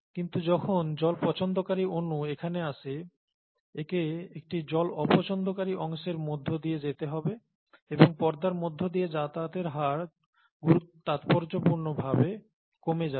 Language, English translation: Bengali, But when water loving molecule comes here it needs to pass through a water hating core and the rates of pass through the membrane would be slowed down significantly